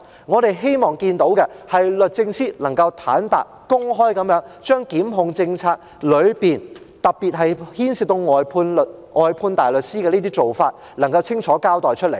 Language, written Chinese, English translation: Cantonese, 我們希望看到的，是律政司坦白、公開，將檢控政策中，特別是牽涉到外判大律師的做法，清楚交代。, What we hope to see is that DoJ honestly openly and clearly explains the prosecution policy particularly the practices involving counsels on fiat